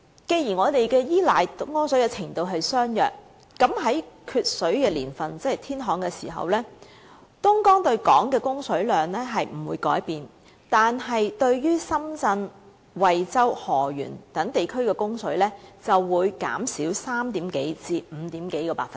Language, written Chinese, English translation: Cantonese, 雖然對東江水的依賴程度相若，但在缺水的年份即天旱時，東江對港供水量不會改變，但對深圳、惠州、河源等地的供水量，則會減少超過3個至超過5個百分點。, Though the degree of reliance on Dongjiang water is roughly the same in years when water is in deficient supply ie . during droughts the supply quantity of Dongjiang water will not change whereas the water supply for places like Shenzhen Huizhou and Heyuan will reduce by over 3 percentage points to over 5 percentage points